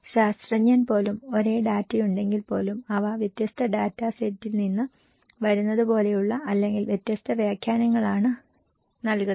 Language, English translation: Malayalam, Even the scientist, if they have same data they have different interpretations as if they look like they are coming from different data set